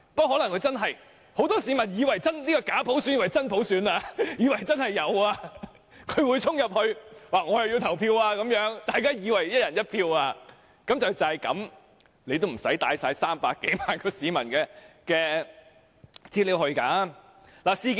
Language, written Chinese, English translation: Cantonese, 可能很多市民以為這個假普選是真普選，會衝入去投票，以為"一人一票"，即使如此，也不用攜帶300多萬市民的資料去會場。, Perhaps many people would take this bogus universal suffrage as genuine universal suffrage and go to vote at the venue perhaps they would think it was one person one vote . But even so it was not necessary to bring the information of more than 3 million citizens to the venue